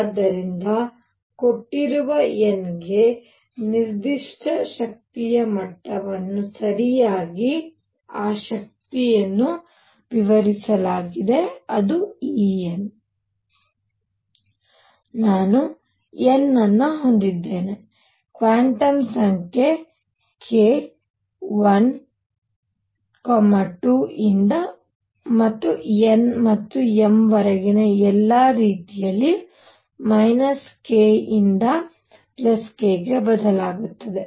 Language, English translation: Kannada, So, for a given n a given energy level right, that energy is fixed E n, I would have n, the quantum number k would vary from 1, 2 and up to all the way up to n and m which varied from minus k to k